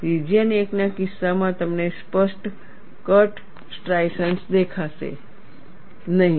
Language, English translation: Gujarati, In the case of region 1, you will not see clear cut striations